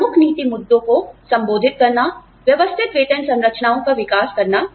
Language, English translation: Hindi, Address key policy issues, develop systematic pay structures